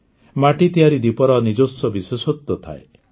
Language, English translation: Odia, Earthen lamps have their own significance